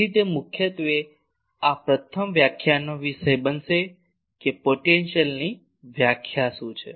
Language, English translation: Gujarati, So, that will be the topic of this first lecture mainly that what is the concept of potential